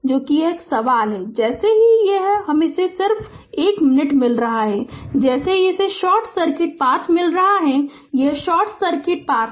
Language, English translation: Hindi, So, question is that as soon as this this your as soon as it is getting a just 1 minute as soon as it is getting a your short circuit path this is short circuit path